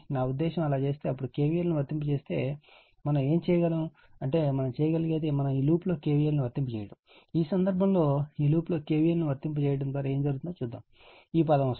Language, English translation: Telugu, I mean if you do so, if you apply your what you call KVL then, what you call we do is what we can do is we apply KVL in this loop, we apply KVL in this loop in this case, what will happen am coming like this term